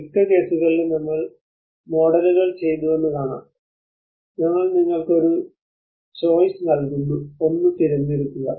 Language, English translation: Malayalam, In many of the cases we can see that we did the models and we can say please select one of that we are giving you a choice